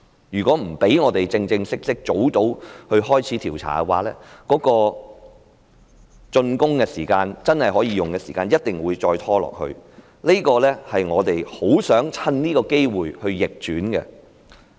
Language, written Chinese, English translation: Cantonese, 如果不讓我們早日正式開始調查，竣工的時間，即可供市民使用的時間，一定會再拖延下去，這一點是我們很想趁這個機會扭轉的。, If we are not allowed to formally start an investigation early the completion of SCL or the date it can be made available for public use will definitely be delayed continual . This is what we very much wish to avert with this opportunity given to us here